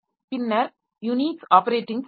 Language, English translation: Tamil, So we have got more complex like Unix operating system